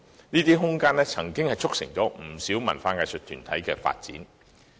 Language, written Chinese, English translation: Cantonese, 這些工廈的空間，卻促成了不少文化藝術團體的發展。, These factory buildings however have provided space for promoting the development of a number of cultural and arts groups